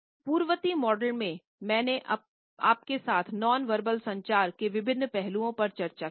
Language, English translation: Hindi, In the preceding modules, I have discussed various aspects of nonverbal communication with you